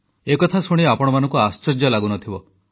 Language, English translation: Odia, Of course, you will not be surprised at that